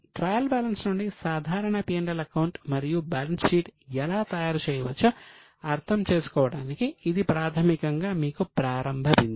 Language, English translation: Telugu, This was basically a starting point for you to understand how a simple P&L and balance sheet can be made from the trial balance